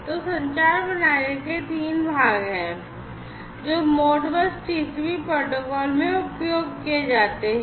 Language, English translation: Hindi, So, these are the three parts of the communication system, that are used in the Modbus TCP protocol